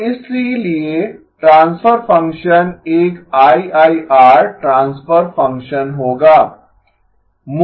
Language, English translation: Hindi, So therefore the transfer function will be an IIR transfer function